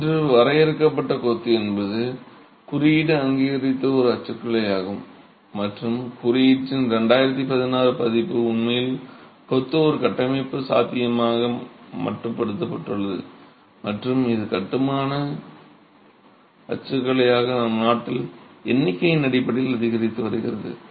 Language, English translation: Tamil, Confined masonry today is again a typology that the code has recognized and in the 2016 version of the code actually has confined masonry as a structural possibility and is also increasing in terms of numbers in our country as a construction typology